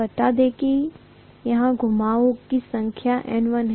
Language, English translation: Hindi, Let us say the number of turns is N1, okay